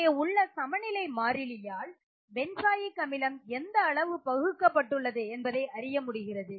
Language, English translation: Tamil, So, greater the value of the equilibrium constant it indicates more of the benzoic acid is dissociated